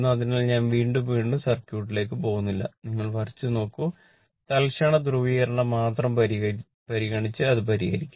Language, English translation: Malayalam, So, am not going to the circuit again and again just you draw and look it you have done this circuit everything , only consider instantaneous polarity and solve it